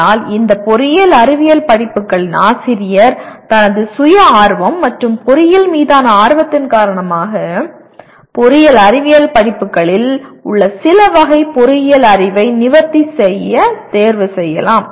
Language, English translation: Tamil, But a teacher of this engineering science courses may choose because of his interest and passion for engineering may choose to address some categories of engineering knowledge even in engineering science courses